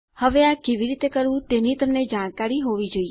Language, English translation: Gujarati, You should now know how to do this by now